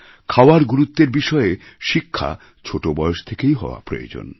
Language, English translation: Bengali, The education regarding importance of food is essential right from childhood